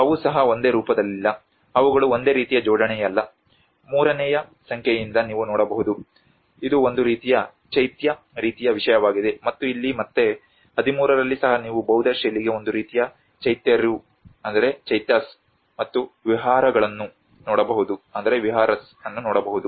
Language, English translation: Kannada, There is also they are not the same form, they are not of the same alignment like you can see from number 3 which is a kind of Chaitya sort of thing and here again in 13 as well you can see a kind of Chaityas and Viharas for Buddhist style